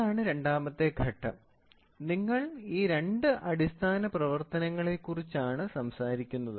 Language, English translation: Malayalam, So, that is the second step, you are talking about these two other basic function